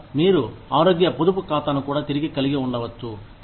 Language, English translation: Telugu, Or, you could also have a health savings account